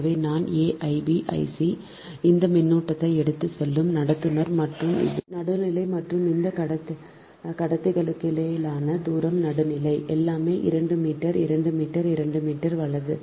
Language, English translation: Tamil, so i a, i b, i c, this current carrying conductor and this is the neutral and distance between this conductors are phase, are neutral